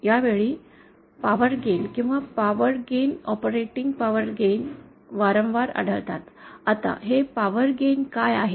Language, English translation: Marathi, This time, power gain or operating power gain comes across frequently, now what is this power gain